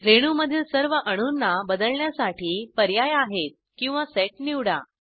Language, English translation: Marathi, We have an option to modify all the atoms in the molecule or a select set